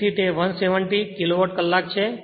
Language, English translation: Gujarati, So, it is 170 Kilowatt hour